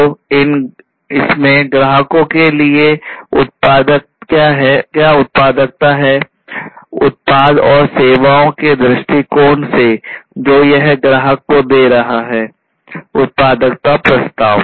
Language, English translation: Hindi, So, what value it is going to have to the customers in terms of the product and the services it is offering to the customer; value proposition